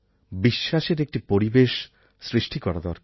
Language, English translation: Bengali, It is important to build an atmosphere of trust